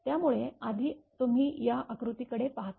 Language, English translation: Marathi, So, first you look into this diagram